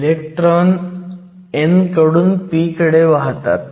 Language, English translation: Marathi, Electrons move from the n to the p